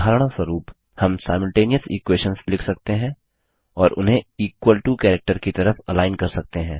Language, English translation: Hindi, For example, we can write simultaneous equations and align them on the equal to character